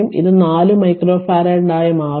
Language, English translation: Malayalam, So, it will be 4 micro farad